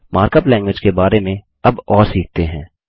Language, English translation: Hindi, Now let us learn more about Mark up language